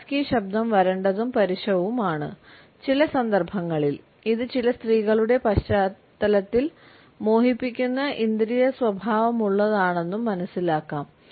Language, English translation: Malayalam, A husky voice is understood as dry and rough, in some cases it can also be perceived positively as being seductively sensual in the context of certain women